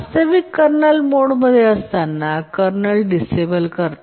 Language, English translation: Marathi, Actually, the kernel disables when in the kernel mode